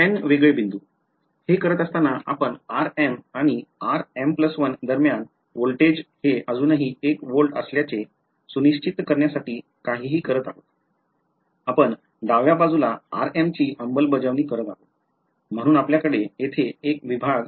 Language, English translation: Marathi, N discrete points, by doing this are we doing anything to ensure that the voltage between r m and r m plus 1 is still 1 volt, we are enforcing the left hand side at r m then the next; so we have one segment over here we have one more segment over here